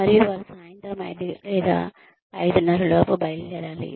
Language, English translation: Telugu, And, they have to leave by 5:00 or 5:30 in the evening